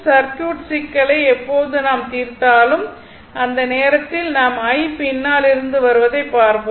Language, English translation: Tamil, When we will solve the circuit problem, at that time you will see into this I just came from the back right